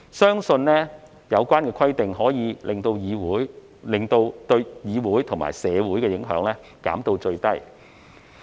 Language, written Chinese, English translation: Cantonese, 相信有關規定可以把對議會和社會的影響減至最低。, It is believed that these rules should be able to minimize the impact on the Legislative Council DCs and the community